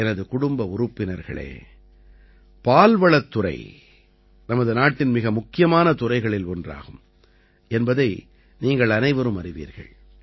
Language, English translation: Tamil, My family members, you all know that the Dairy Sector is one of the most important sectors of our country